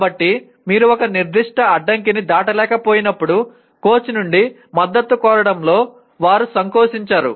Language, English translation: Telugu, So they do not mind seeking support from the coach when you are unable to cross a certain barrier